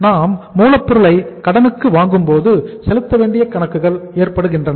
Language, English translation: Tamil, When we purchase the raw material on credit so we have the accounts payable